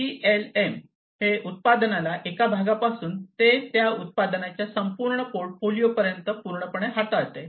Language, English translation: Marathi, PLM handles a product completely from single part of the product to the entire portfolio of that product